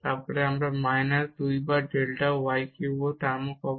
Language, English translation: Bengali, So, and this is 2 times delta y cube